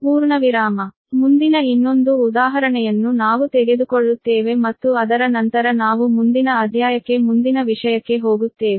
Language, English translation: Kannada, so next, another example we will take, and after that we will go to the next chapter, right